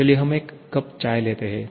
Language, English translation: Hindi, Let us take a cup of tea